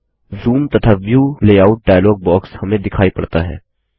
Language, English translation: Hindi, You see that a Zoom and View Layout dialog box appears in front of us